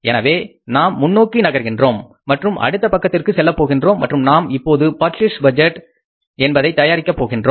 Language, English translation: Tamil, So, now we will move forward and then we will go to the next page, next sheet and now we will prepare the purchase budget